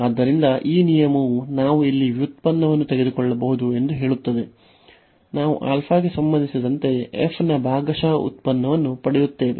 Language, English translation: Kannada, So, this rule says that we can take the derivative inside here; we will get partial derivative of f with respect to alpha